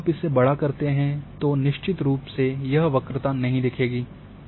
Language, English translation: Hindi, But when you zoom it then this curvature or this thing this is sure it will not come